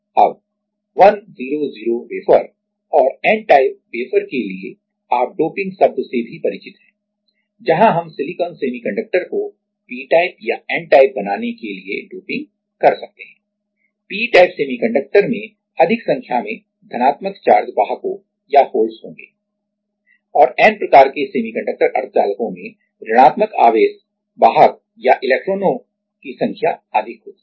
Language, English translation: Hindi, Now, for 100 wafer for 100 wafer and n type wafer you also are aware of the term doping where we can dope the silicon semiconductor to be p type or n type, p type semiconductor will have more number of positive charge carriers or holes and n type semiconductors have more number of negative charge carriers or electrons